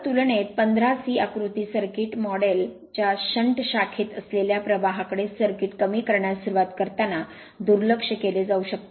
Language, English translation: Marathi, So, in comparison the exciting current in the shunt branch of the circuit model can be neglected at start reducing the circuit to the figure 15 C